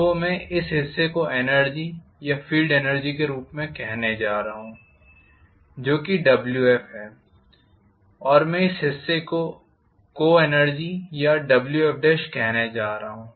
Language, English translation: Hindi, So I am going to call this portion as energy or field energy which is Wf and I am going to call this portion as co energy or Wf dash